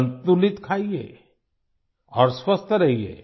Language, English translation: Hindi, Have a balanced diet and stay healthy